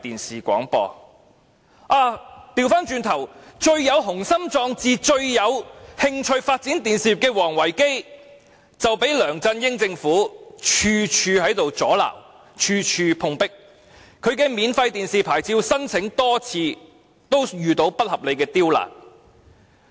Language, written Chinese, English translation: Cantonese, 相反，最有雄心壯志及最有興趣發展電視業的王維基卻被梁振英政府處處阻撓，以致處處碰壁，其免費電視廣播牌照申請更多次遇上不合理的刁難。, However although Ricky WONG has displayed the greatest ambition on and is most interested in developing a television business his plans have run into snags everywhere because the LEUNG Chun - ying Government has repeatedly created a lot of obstacles for him making it unreasonably difficult for him to apply for a domestic free television programme service licence